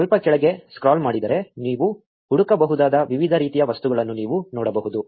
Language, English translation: Kannada, If you scroll down a bit, you can see the various type of objects you can search for